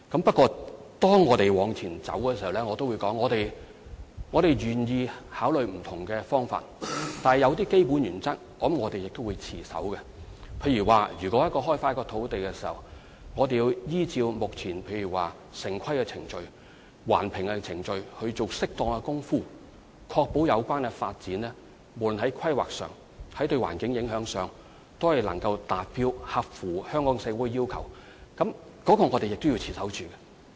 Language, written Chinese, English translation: Cantonese, 不過，正如我剛才所說，在推進這方面的工作時，我們願意考慮不同方法，但有一些基本原則亦必須持守，例如在開發土地時，必須依照現有程序，包括城規程序、環評程序採取適當的步驟，以確保有關發展項目不論在規劃上和對環境的影響方面，均能達標並合乎香港社會的要求，這是我們必須持守的原則。, We are prepared to consider different options when proceeding with our work in this regard but as I said just now we must adhere to certain basic principles . For example in course of land development we must act appropriately under the established procedures including town planning procedures and environmental impact assessments so as to ensure that both the planning and environmental impact of the project can meet the standards and requirements of Hong Kong society . This is a principle which we must follow